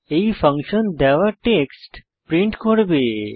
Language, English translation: Bengali, This function will print out the given text